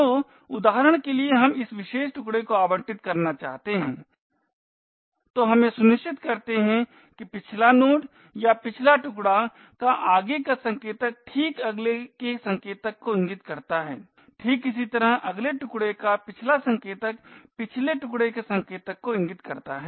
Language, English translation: Hindi, So for example we want to allocate this particular chunk then we ensure that the previous node or the previous chunks forward pointer points to the next chunk forward pointer similarly the next chunks back pointer points to the previous chance pointer